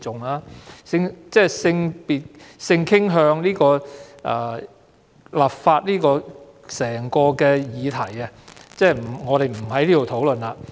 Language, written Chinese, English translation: Cantonese, 有關就禁止性傾向歧視立法的議題，我不在此討論了。, Nevertheless I will not discuss here the subject of legislating against discrimination on the ground of sexual orientation